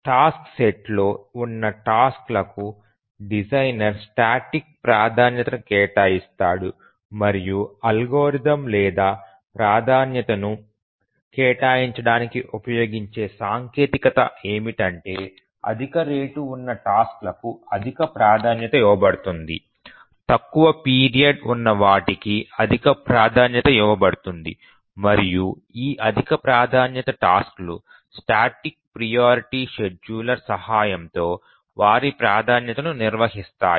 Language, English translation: Telugu, The designer assigns static priority to the tasks that are there in the task set and the algorithm or the technique that he uses to assign priority is that the tasks which have higher rate are given as higher priority those who have shorter period are assigned higher priority and these higher priority tasks they maintain their priority this static priority scheduler once the designer assigns priority to a task it does not change and then a higher priority task always runs even if there are lower priority tasks